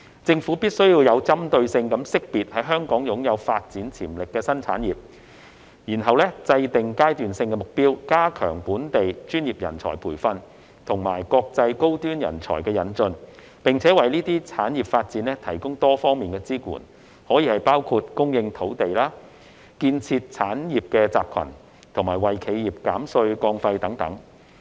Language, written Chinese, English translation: Cantonese, 政府必須有針對性識別在香港擁有發展潛力的新產業，然後制訂階段性目標，加強本地專業人才培訓及國際高端人才引進，並為這些產業發展提供多方面的支援，包括供應土地、建設產業集群、為企業減稅降費等。, The Government must identify in a targeted way new industries with development potential in Hong Kong set phased milestones strengthen the training of local professionals bring in international top talents and provide support for the development of these industries in various aspects including the supply of land the formation of industrial clusters and the reduction of taxes and fees for enterprises